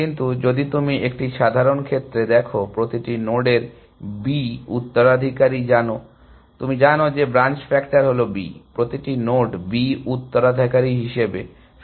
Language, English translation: Bengali, But, if you look at a general case, were every node has b successors, you know branching factor is b, every node as b successors